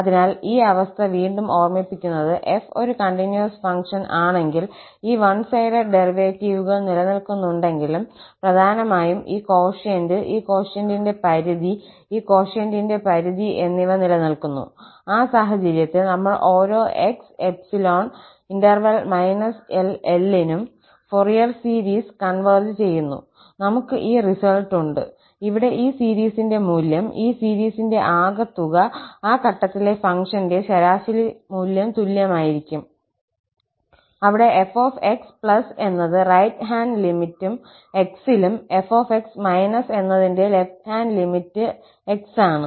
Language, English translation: Malayalam, So, just to recall the condition again, if f is a piecewise continuous function and these one sided derivatives, mainly this quotient, the limit of this quotient and the limit of this quotient exist, in that case, we call that for each x in this interval minus L to L, the Fourier series converges and we have this result, that the value of this series here, the sum of this series is going to be equal to the average value of the function at that point, where this f is the right hand limit at x and f is the left hand limit of f at x